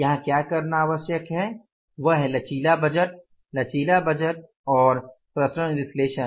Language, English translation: Hindi, So, this is the flexible budget and the variance analysis